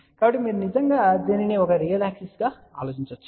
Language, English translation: Telugu, So, you can actually think about this as a real axis